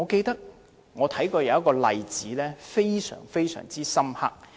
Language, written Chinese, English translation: Cantonese, 有一個例子，令我印象非常深刻。, There is a case which has left a deep impression on me